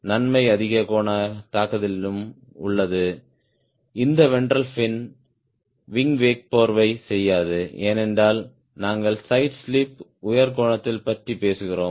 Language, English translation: Tamil, the advantage is at high angular attack, this ventral fin doesnt get blanketed because wing wake, because we are talking about side slip angle